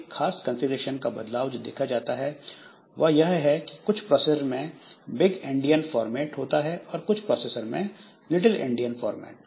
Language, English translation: Hindi, One particular configured change that we have is that some processors they will follow big Indian format, some processors they follow little Indian format